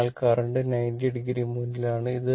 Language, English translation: Malayalam, So, current is leading 90 degree